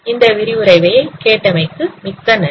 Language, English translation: Tamil, Thank you very much for listening this lecture